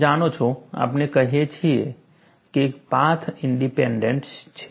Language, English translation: Gujarati, You know, we say that it is path independent